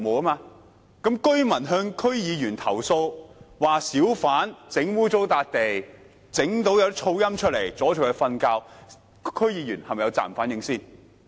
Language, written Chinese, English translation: Cantonese, 若居民向區議員投訴，指小販把地方弄髒，並造成嘈音，擾人清夢，這樣區議員是否有責任反映？, If residents complain to DC members about hawkers dirtying places and causing noise nuisances which disturb their sleep do DC members not have the responsibility to reflect the issue?